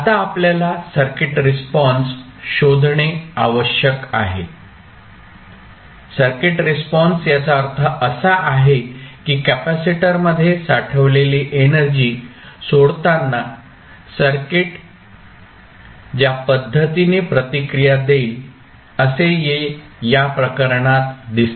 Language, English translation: Marathi, Now that we have to do, we have to find out the circuit response, circuit response means, the manner in which the circuit will react when the energy stored in the elements which is capacitor in this case is released